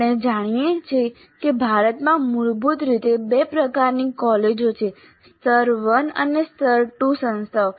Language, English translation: Gujarati, Now we know that in India basically there are two types of colleges, tier one and tire two institutions